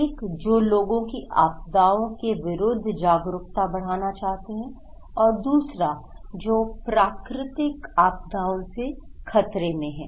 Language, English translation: Hindi, One, they want to make increase people risk awareness, another one is the people who are at risk of natural disasters